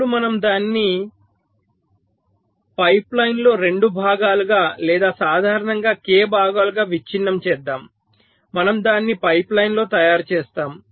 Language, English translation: Telugu, ok, now suppose we break it into two parts in a pipe line, or k parts in general, we make it in a pipe line